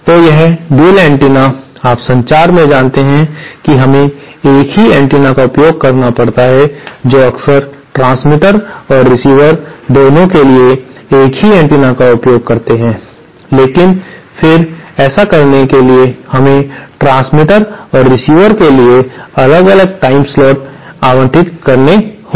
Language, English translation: Hindi, So, a shared antenna, you know in communication we have to use the same antenna often use the same antenna for both the transmitter as well as the receiver but then to do that, we have to allocate different timeslots for the transmitter and the receiver